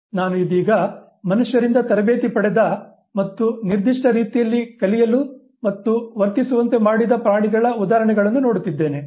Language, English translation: Kannada, I am right now looking at those examples where animals who have been trained by human beings and have been made to learn and behave in a particular way